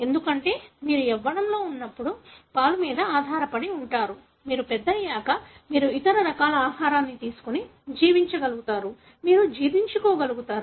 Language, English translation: Telugu, Because, you are dependent on the milk when you are young; when you become adult you are able to, take other forms of food and survive, you are able to digest